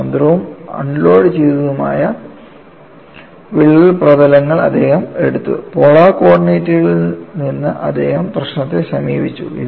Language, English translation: Malayalam, He took crack surfaces that are free, unloaded crack surfaces, and he approached the problem from polar co ordinates; and, for this, what he had taken the stress function